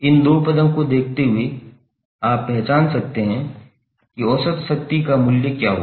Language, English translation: Hindi, You can just simply look at these two term, you can identify what would be the value of average power